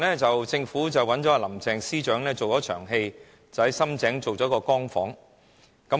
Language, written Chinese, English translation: Cantonese, 政府最近找了林鄭司長做一場戲，在深井經營了一個"光屋"。, Recently Chief Secretary Carrie LAM put on a show for a Light Home project operated in Sham Tseng